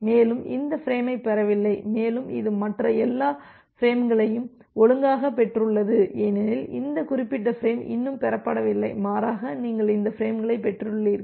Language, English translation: Tamil, And, it has not received this frame and it has received all other frames which is received out of order because this particular frame has not been received yet rather you have received this frames